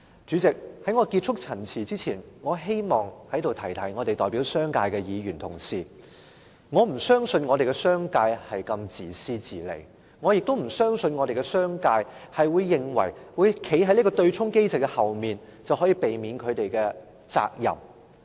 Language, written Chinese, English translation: Cantonese, 主席，在我結束陳辭前，我希望提醒代表商界的議員，我不相信商界是如此自私自利，我亦不相信商界會認為躲在對沖機制後面便能逃避責任。, President before concluding my speech I wish to remind Members representing the business sector that I do not believe the business sector will act in such a selfish way nor do I believe the business sector will think that they can evade the responsibility by using the offsetting mechanism as a shield